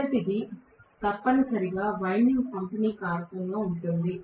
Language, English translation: Telugu, The first one is essentially due to the distribution of the winding